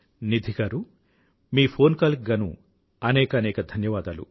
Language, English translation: Telugu, Nidhi ji, many thanks for your phone call